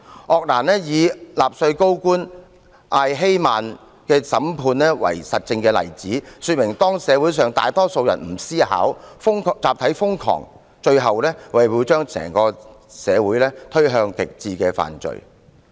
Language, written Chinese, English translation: Cantonese, 鄂蘭以納粹高官艾希曼的審判為實證案例，說明當社會上大多數人不思考，集體瘋狂，最終會把整個社會推向極致的犯罪。, ARENDT uses the trial of Adolf EICHMANN a senior Nazi bureaucrat to prove that when most of the people in society do not think collective madness will eventually push the whole society to the extreme crime